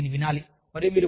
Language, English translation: Telugu, So, you have to listen to it